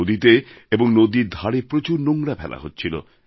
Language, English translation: Bengali, A lot of garbage was being dumped into the river and along its banks